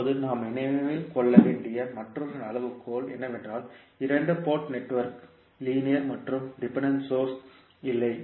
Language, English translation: Tamil, Now, another criteria which we have to keep in mind is that the two port network is linear and has no dependent source